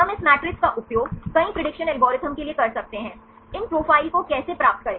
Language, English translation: Hindi, We can use this matrix for many prediction algorithms, how to obtain these profiles